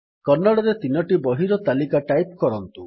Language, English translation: Odia, Type a list of 3 books in Kannada